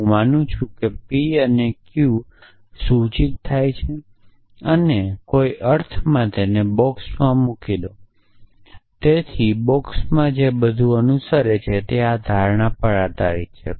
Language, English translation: Gujarati, So, I assume p and q implies r and in some sense put it in a box, so everything that follow within the box is based on this assumption